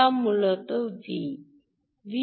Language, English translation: Bengali, this is v out